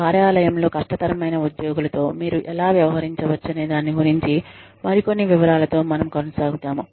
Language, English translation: Telugu, We will continue, with some more details, regarding how you can deal with difficult employees, in the workplace